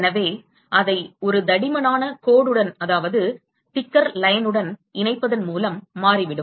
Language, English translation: Tamil, So, it turns out that by join it with a thicker line